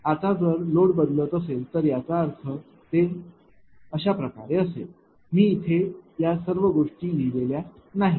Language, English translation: Marathi, Now, if the load changes then this I mean I mean it is something like this all this things I have not written here